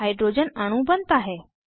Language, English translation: Hindi, Hydrogen molecule is formed